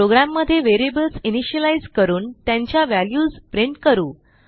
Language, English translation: Marathi, In this program we will initialize the variables and print their values